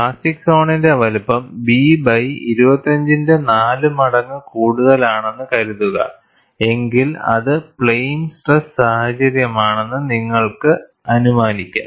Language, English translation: Malayalam, Suppose, you have the plastic zone size is greater than 4 times B by 25, you could idealize that, the situation is plane stress